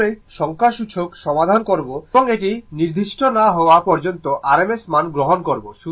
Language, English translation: Bengali, Whenever we will solve numericals unless and until it is specified we will take the rms value